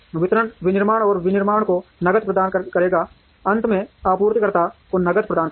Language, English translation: Hindi, Distribution would provide cash to manufacturing and manufacturing, would finally provide cash to the suppliers